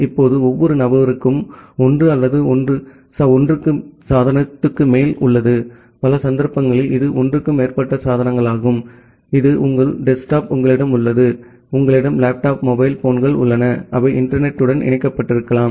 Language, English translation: Tamil, Now each person has 1 or even more than 1 devices; many of the cases it is more than 1 devices like you have your desktop you have your laptop, the mobile phones, which you can get connected to the internet